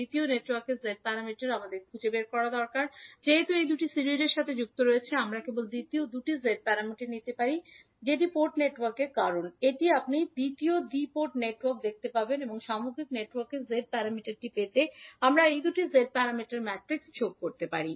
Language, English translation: Bengali, Now, in this case the figure the Z parameters of one two port network is given, the Z parameter of second network we need to find out, since these two are connected in series we can simply take the Z parameters of the second two port network because this is the second two port network you will see and we can sum up these two Z parameter matrices to get the Z parameter of the overall network